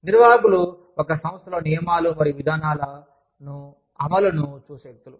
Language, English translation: Telugu, Administrators are people, who look at the implementation of rules and policies, in an organization